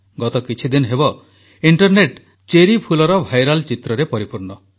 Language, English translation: Odia, For the past few days Internet is full of viral pictures of Cherry Blossoms